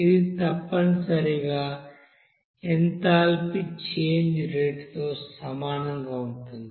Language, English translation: Telugu, So which in turn is essentially the same as the rate of change of enthalpy here